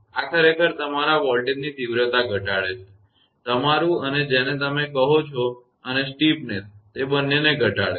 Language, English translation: Gujarati, This actually reduce your voltage magnitude; your and what you call and steepness; both it reduce